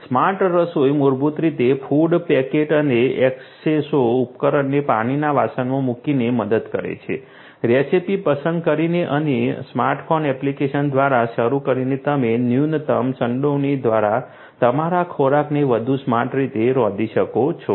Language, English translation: Gujarati, Smart cooking basically helps by placing the food packet and Eskesso device in a pot of water, selecting the recipe and starting via smart phone app you can get your food cooked in a smarter way through minimal involvement